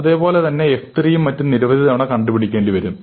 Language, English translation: Malayalam, I am computing f 4 a number of times, f 3 a number of times and so on